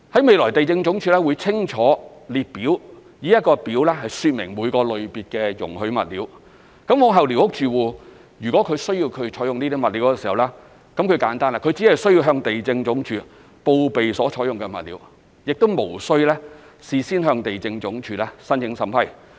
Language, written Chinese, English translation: Cantonese, 未來地政總署會以一個列表清楚說明每個類別的容許物料，往後寮屋住戶如果需要採用這些物料，只須簡單地向地政總署報備所採用的物料，無須事先向地政總署申請審批。, The Lands Department will compile a list later to explain clearly the allowed materials under each category . Should squatter occupants need to use a particular building material in the future they can simply report to the Lands Department the materials to be used without prior application for the vetting and approval of the Lands Department